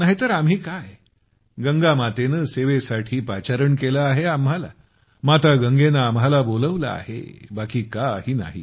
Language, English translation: Marathi, Otherwise, we have been called by Mother Ganga to serve Mother Ganga, that's all, nothing else